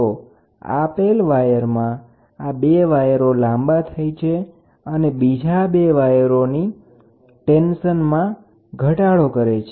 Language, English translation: Gujarati, So, two wires; two of the wires elongates and reduces the tension in the other two wires